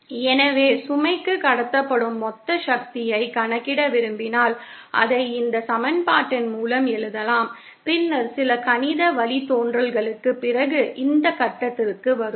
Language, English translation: Tamil, So, if we want to calculate the total power that is transmitted to the load, then we can write it along this equation and then after some mathematical derivations, we will arrive at this point